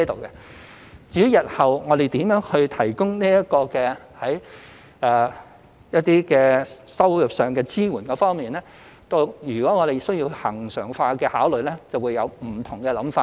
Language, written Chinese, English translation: Cantonese, 至於日後如何提供一些收入上的支援，如需考慮恆常化，便會有不同的想法。, As for how income support should be provided in future there may be some other considerations if this kind of support has to be regularized